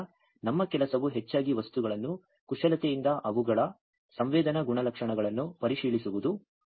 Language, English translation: Kannada, So, our job is mostly to manipulate the materials check their sensing properties